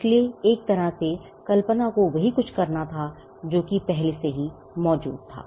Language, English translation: Hindi, So, in a way imagination had to do something with what was already there